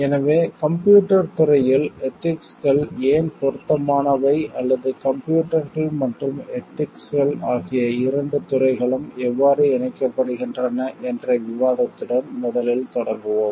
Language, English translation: Tamil, So, like you will first start with the discussion of why ethics is relevant in the field of computers or how the both the fields of computers and ethics get connected